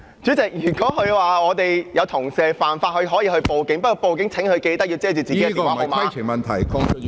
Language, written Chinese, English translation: Cantonese, 主席，如果他說有同事犯法，他可以報警，不過屆時請他記緊要遮蓋自己的電話號碼。, Chairman if he claims that a colleague has broken the law he may call the Police but then he should definitely remember to cover his phone number